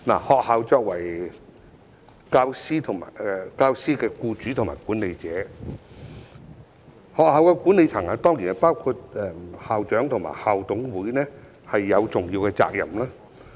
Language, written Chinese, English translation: Cantonese, 學校作為教師的僱主和管理者，學校管理層——當然包括校長和校董會——有重要的責任。, Being the employer and manager of teachers the school management―the principal and the school management committee are of course included―shoulders an important responsibility